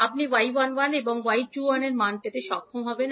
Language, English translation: Bengali, So, you got y 11 and y 21 from this circuit